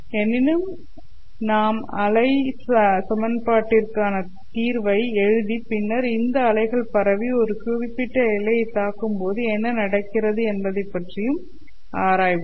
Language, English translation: Tamil, However, we will write down the solution of the wave equation and then examine what happens as these waves propagate and hit a particular boundary